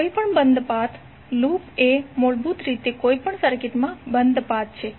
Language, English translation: Gujarati, In any closed path loop is basically a closed path in any circuit